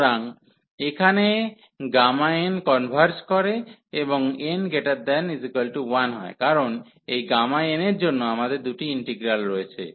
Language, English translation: Bengali, So, here the gamma n converges for n greater than equal to 1, because this gamma n we have the two integral